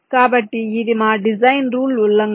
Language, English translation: Telugu, so this is our design rule violation